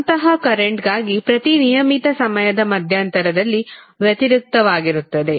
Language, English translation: Kannada, Such current reverses at every regular time interval